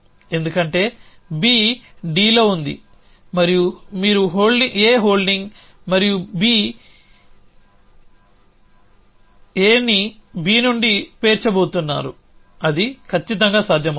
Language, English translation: Telugu, Because B is on D an you a holding A and you about to stack A on to B that is perfectly feasible